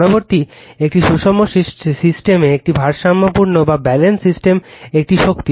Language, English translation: Bengali, Next is a power in a balanced system in a balanced system